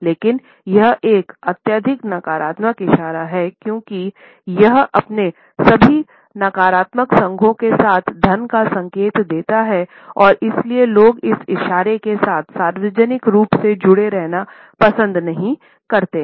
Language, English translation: Hindi, But this is a highly negative gesture, because it indicates money with all its negative associations and therefore, people do not like to be associated with this gesture in a public manner